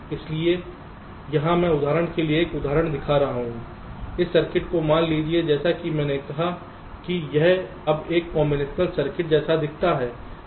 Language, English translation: Hindi, for example: ah, suppose this circuit, as i said, that it now looks like a combinational circuit